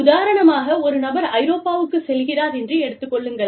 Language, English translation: Tamil, For example, if a person goes to Europe